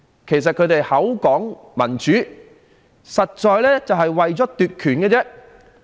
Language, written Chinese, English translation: Cantonese, 其實，他們口說民主，實際是為了奪權而已。, They speak of democracy but in fact their real intention is to seize power